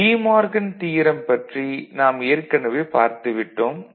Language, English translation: Tamil, And De Morgan’s theorem, we have already seen